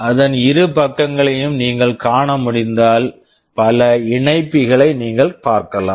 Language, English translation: Tamil, If you can see the two sides of it, there are so many connectors you can see